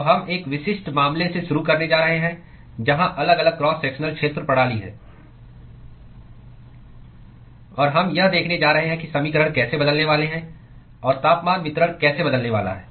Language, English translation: Hindi, So, we are going to start with a specific case where the varying cross sectional area system; and we are going to see how the equations are going to change and how the temperature distribution is going to change